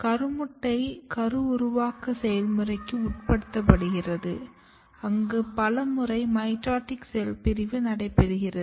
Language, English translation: Tamil, Zygote undergo the process of embryogenesis where it undergo several round of mitotic cell division